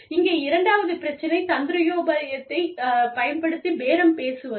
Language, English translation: Tamil, The second issue here is, bargaining power using the tactic